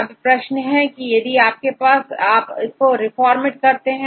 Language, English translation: Hindi, Now, the question is whether you need to reformat this are not